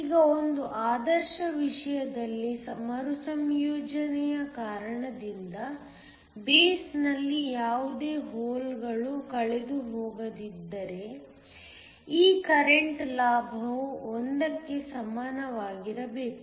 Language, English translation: Kannada, Now, in an ideal case if no holes are lost in the base due to recombination, this current gain should be equal to 1